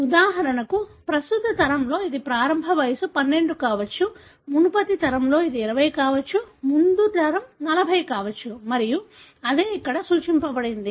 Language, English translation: Telugu, For example, in the current generation it could be the age at onset is 12, in the previous generation it could be 20, the generation before it could be 40 and that is what denoted here